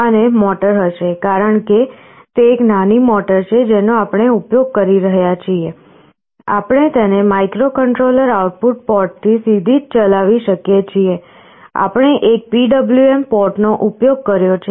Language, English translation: Gujarati, And the motor, because it is a small motor we are using, we can drive it directly from the microcontroller output port, we have used one PWM port